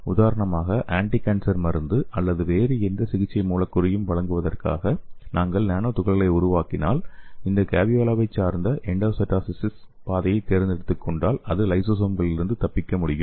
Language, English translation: Tamil, For example if we are making a nanoparticle for delivering anticancer drug or any other therapeutic molecule so if you take this caveolae dependent endocytosois pathway so it can escape from the lysosomes